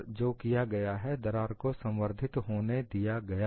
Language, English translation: Hindi, And what is done is the crack is allowed to propagate